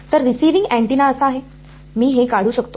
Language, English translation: Marathi, So, receiving antenna is so, I can just draw this